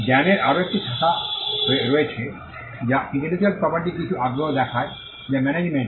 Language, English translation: Bengali, There is another branch of knowledge, which also shows some interest on intellectual property right which is the management